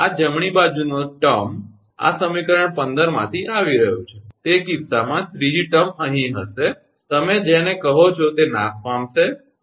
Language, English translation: Gujarati, This right hand term, this is coming from equation 15, in that case the third term will be here, what you call will be vanished right